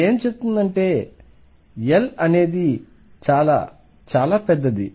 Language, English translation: Telugu, What it means is L is very, very large